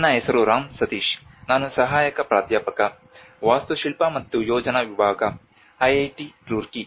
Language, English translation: Kannada, My name is Ram Sateesh, I am Assistant professor, Department of Architecture and planning, IIT Roorkee